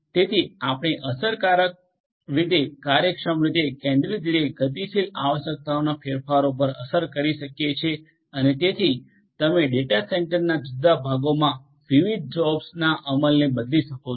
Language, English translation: Gujarati, So, that you can effect effectively efficiently in a centralized manner depending on the dynamic requirements changes in the requirements and so on, you can change the execution of different jobs in the different parts of the data centre